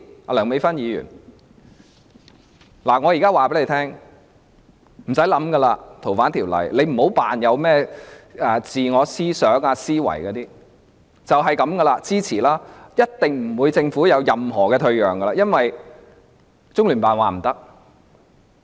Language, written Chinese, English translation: Cantonese, 我現在告訴梁美芬議員，她無需思考《條例草案》，也不要裝作有甚麼自我思想、自我思維，只要支持便可，而政府一定不會有任何退讓，因為中聯辦已說明不可以。, Now I am telling Dr Priscilla LEUNG that she needs not think about the Bill and she needs not pretend to be a person who has her own thoughts and ideas for she needs only support the Bill and the Government will make no concession as LOCPG has already ruled out that option